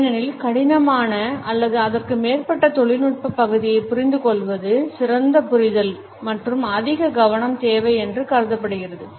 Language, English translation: Tamil, Because it is thought that understanding of difficult or more technical part of the presentation require better understanding and more focus